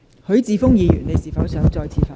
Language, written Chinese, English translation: Cantonese, 許智峯議員，你是否想再次發言？, Mr HUI Chi - fung do you wish to speak again?